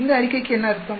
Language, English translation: Tamil, What does this statement means